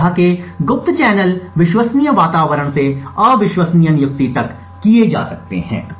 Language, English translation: Hindi, Such kind of covert channels can be done from a trusted environment to the untrusted appointment